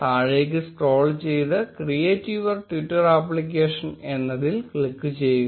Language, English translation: Malayalam, Scroll down and click on create your twitter application